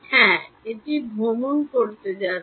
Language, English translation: Bengali, Yeah, it's going to travel